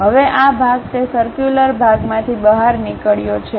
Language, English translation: Gujarati, Now, this part is protruded part from that circular one